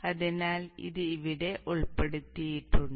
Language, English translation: Malayalam, So this is included here